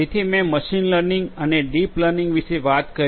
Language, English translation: Gujarati, So, I talked about machine learning and deep learning